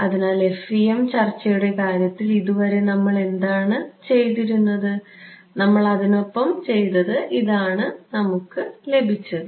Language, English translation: Malayalam, So, so far what we had done at least in the case of the FEM discussion, we have said we live with it, this is what you have get right